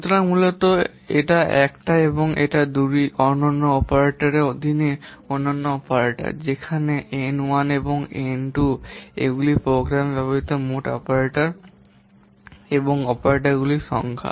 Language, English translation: Bengali, So, basically, itta 1 and 2 are unique operators and of unique operants, whereas n1 and n2 these are total number of operators and operants used in the program